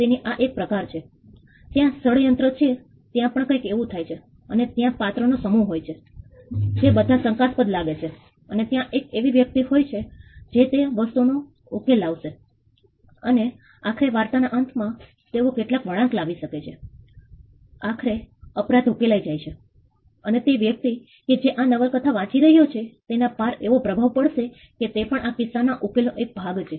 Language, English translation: Gujarati, So, this is the genre there is a plot there is an even that happens and there are a set of characters all looking suspicious and there is a person who would come to solve that thing and eventually they could be some twist in the tale, eventually the crime is solved or at least the person who reads the novel is given an impression that he got he was a part of a process of solving something